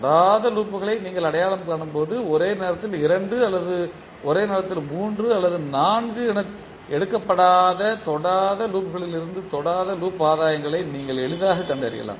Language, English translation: Tamil, So when you identify non touching loops you will be, you can easily find out the non touching loop gains from the non touching loops taken two at a time or three or four at a time